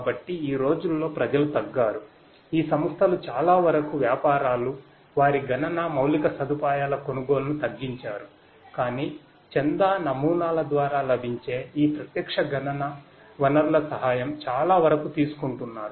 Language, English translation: Telugu, So nowadays people are have reduced, most of these organizations, the businesses; they have reduced buying the computing infrastructure, but are taking help of many of these online computational resources that are available through subscription models